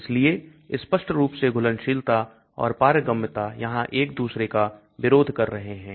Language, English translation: Hindi, so obviously solubility and permeability are opposing each other here